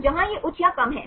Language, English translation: Hindi, So, where this is high or low